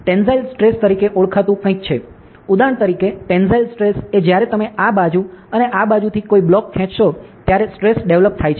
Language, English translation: Gujarati, So, there is something is known as tensile stress, for example, tensile stress is the stress developed when you pull a block from this side and this side